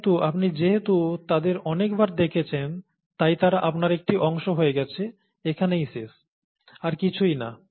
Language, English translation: Bengali, But since you are exposed to them so many times, they become a part of you, okay